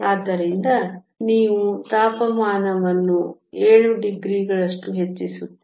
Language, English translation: Kannada, So, you increase the temperature by 7 degrees